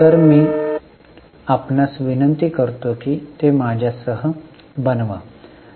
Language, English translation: Marathi, So, I will request you to make it along with you